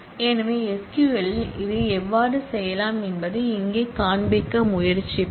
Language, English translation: Tamil, So, here we will just try to show you how we can do that in SQL